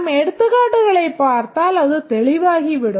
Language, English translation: Tamil, As we will look at the examples, it will become clear